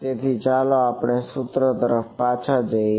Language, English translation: Gujarati, So, let us go back to our equation